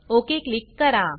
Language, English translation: Marathi, Click OK here